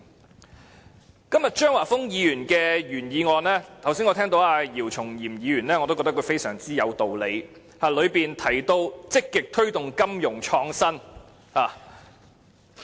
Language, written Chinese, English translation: Cantonese, 就今天張華峰議員提出的原議案，我認為剛才姚松炎議員的發言很有道理，當中提到積極推動金融創新。, With regard to the original motion moved by Mr Christopher CHEUNG today I think what Dr YIU Chung - yim has said in his speech just now makes very good sense and he has talked about the need to make vigorous attempts to promote financial innovation